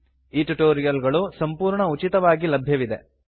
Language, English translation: Kannada, These tutorials are available absolutely free of cost